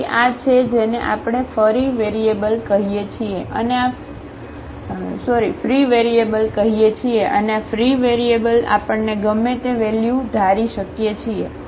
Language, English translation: Gujarati, So, this is what we call the free variable and this free variable we can assign any value we like